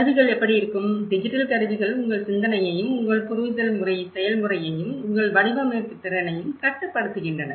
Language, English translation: Tamil, And this is where how the tools; the digital tools are also conditioning your thinking and your understanding process and also your design ability as well